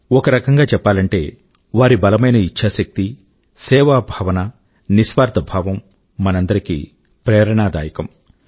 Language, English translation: Telugu, In fact, their strong resolve, spirit of selfless service, inspires us all